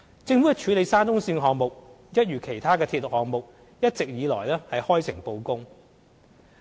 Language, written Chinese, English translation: Cantonese, 政府處理沙中線項目，一如其他鐵路項目，一直以來開誠布公。, The Government has been working in an open and transparent manner to deal with the SCL project which is just like other railway projects